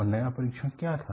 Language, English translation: Hindi, And what was the new test